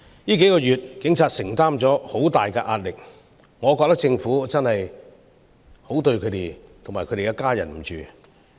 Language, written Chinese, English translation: Cantonese, 數個月以來，警察承受了很大的壓力，我認為政府是對不起他們及其家人。, Police officers have been subject to immense pressure over the past few months . I think the Government has let them and their families down